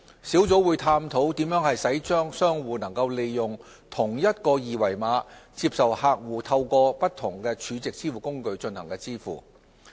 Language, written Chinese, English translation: Cantonese, 小組會探討如何使商戶能夠利用同一個二維碼，接受客戶透過不同儲值支付工具進行支付。, The working group will explore how to enable merchants to use a single QR code to accept payments from different SVFs